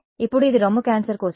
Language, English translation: Telugu, Now, so this is for breast cancer